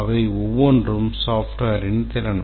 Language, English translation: Tamil, Each of that is a capability of the software